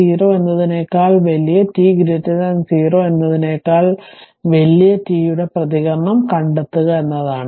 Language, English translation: Malayalam, For t greater than 0 your objective is to find out the response for t greater than 0